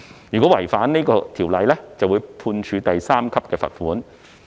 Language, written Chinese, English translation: Cantonese, 若違反有關法例，可被判處第3級罰款。, A person who violates the legislation shall be liable to a fine at level 3